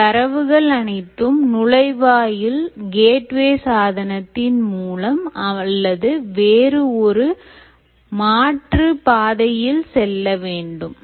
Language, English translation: Tamil, huge amount of data, and all the data will either have to pass through this gateway device or pass through another alternate route